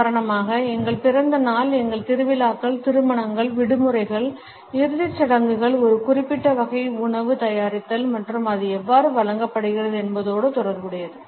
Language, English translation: Tamil, For example, our birthdays, our festivals, weddings, holidays, funerals are associated with a particular type of the preparation of food and how it is served